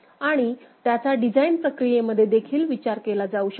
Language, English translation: Marathi, And that can also be considered in the design process right